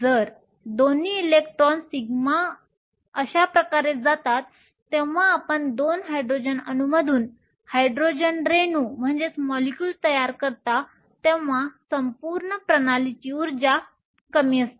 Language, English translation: Marathi, So, both electrons go to the sigma thus when you form a Hydrogen molecule from 2 Hydrogen atoms the overall energy of the system is lower